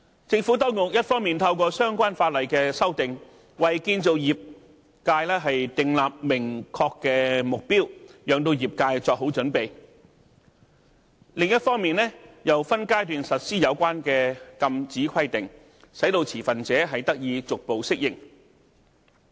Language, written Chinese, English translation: Cantonese, 政府當局一方面透過相關法例的修訂，為建造業界訂立明確目標，讓業界作好準備，另一方面，又分階段實施有關的禁止規定，使持份者得以逐步適應。, The Administration set a clear objective for the construction sector by way of amendments to the relevant legislation on the one hand so that the industry can be well - prepared and implemented the relevant prohibitions in a phased manner on the other so that stakeholders can adapt gradually